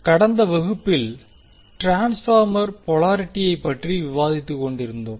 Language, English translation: Tamil, So in last class we were discussing about the transformer polarity